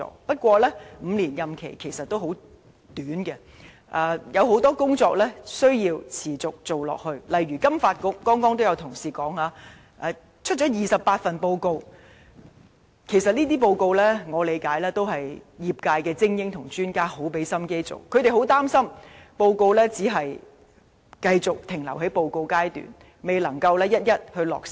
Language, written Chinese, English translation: Cantonese, 不過 ，5 年任期其實很短，很多工作也需要持續進行，例如剛才也有同事提到，金發局至今發表了28份報告，而且以我理解，這些報告都是由業界精英和專家努力製作，他們很擔心報告只是繼續停留在報告階段，未能一一落實。, But a term of five years is indeed short as many tasks have to be continuously carried out . For example as mentioned by another Member earlier FSDC has released 28 reports by now . As far as I know all these reports are prepared by top talents and experts in the sector with considerable effort and they worry that these reports will be left aside rather than having the measures actually enforced